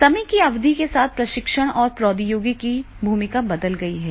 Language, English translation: Hindi, With the period of time the training's the role of technology has changed